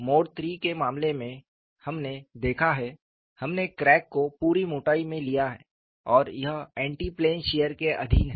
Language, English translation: Hindi, In the case of mode 3, we have looked at, we have taken a through the thickness crack and it is subjected to anti plane shear